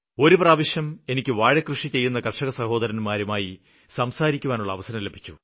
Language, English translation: Malayalam, Once I had the opportunity of talking to farmers involved in Banana cultivation